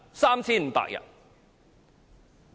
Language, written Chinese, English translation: Cantonese, 3,500 人。, Three thousand five hundred people